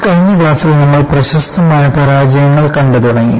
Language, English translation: Malayalam, In the last class, we had started looking at spectacular failures